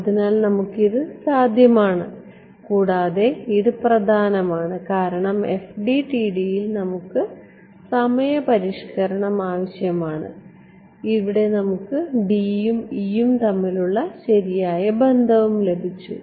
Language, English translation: Malayalam, So, we are able to and this was important because in FDTD we want time update and we here we got the correct relation between D and E right